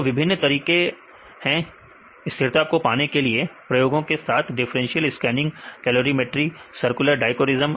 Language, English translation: Hindi, So, there are various ways to get the stability with the experiments right the differential scanning calorimetry, circular dichroism right